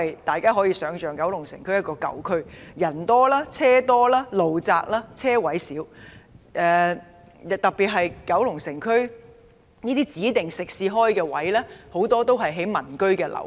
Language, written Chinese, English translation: Cantonese, 大家都可以想象，九龍城區是一個舊區，人多車多、道路狹窄、車位數量又少，特別是區內很多指定食肆都開設在民居樓下。, As you can imagine the Kowloon City District is an old district with a large number of vehicles and pedestrians narrow roads and a small number of parking spaces . In particular most designated restaurants are located on the ground floor of residential buildings